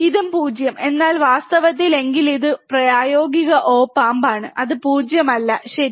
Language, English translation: Malayalam, This also 0, but in reality, if it is practical op amp, it would be nothing but low, alright